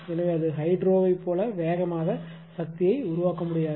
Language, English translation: Tamil, So, it cannot generate power as fast as hydro, right